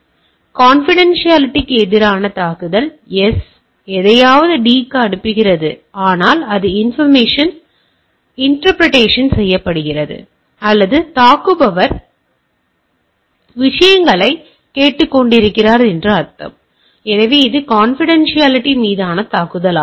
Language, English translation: Tamil, So, attack on confidentiality A C sending to D, but that intercepted and it is also I is listening, or a attacker is listening to the things, so it is a attack on confidentiality